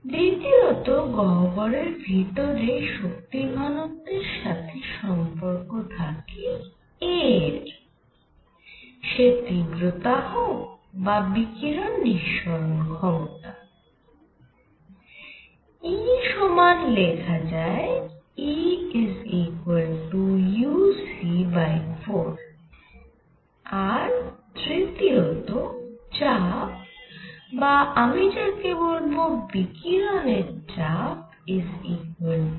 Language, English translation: Bengali, Number 2; the energy density u inside the cavity is related to a; intensity or emissivity; E as equal to as E equal u c by 4 and b; pressure which I will also call a radiation pressure is equal to u by 3